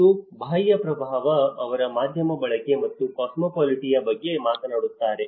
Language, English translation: Kannada, And external influence; they talk about the media consumption and cosmopolitaness